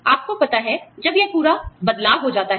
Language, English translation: Hindi, You know, when this whole change shifts up